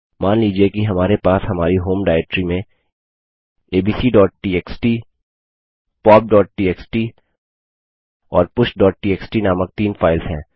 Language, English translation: Hindi, Suppose we have 3 files named abc.txt, pop.txt and push.txt in our home directory